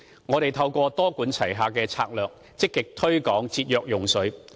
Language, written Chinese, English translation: Cantonese, 我們透過多管齊下的策略，積極推廣節約用水。, Through a multi - pronged strategy we have actively promoted water conservation practices